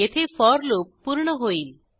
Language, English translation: Marathi, This is the end of for loop